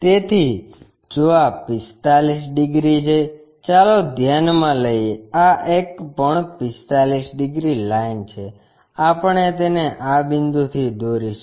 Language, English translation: Gujarati, So, if this is 45 degrees let us consider, this one also 45 degrees line, we will draw it from this point